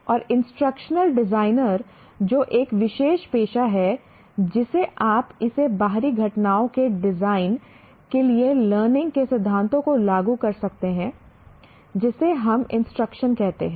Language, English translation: Hindi, And instructional designers, that's a particular profession you can call it, apply the principles of learning to the design of external events, we call it instruction